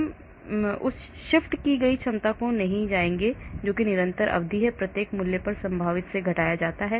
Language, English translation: Hindi, We will not go into that shifted potential that is constant term is subtracted from the potential at each value